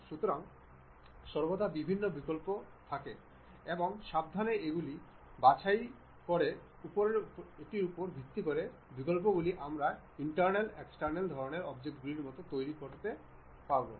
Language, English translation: Bengali, So, there always be different options and based on carefully picking these options we will be in a position to really construct internal external kind of objects